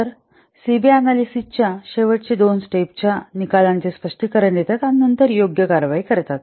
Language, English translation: Marathi, So the last two steps of CB analysis are interpret the results of the analysis and then take appropriate action